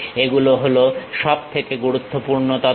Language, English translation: Bengali, These are the most important information